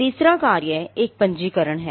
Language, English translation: Hindi, The third function is a registration